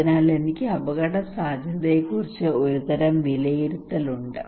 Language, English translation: Malayalam, So I have a kind of appraisal of risk